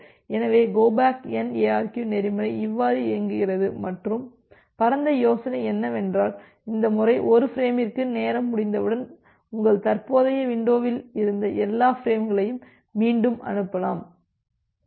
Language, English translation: Tamil, So, that way this entire go back N ARQ protocol works and the broad idea is here that once this time out for 1 frame occurs, then you retransmit all the frames which were there in your current window